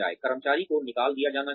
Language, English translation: Hindi, The employee should be fired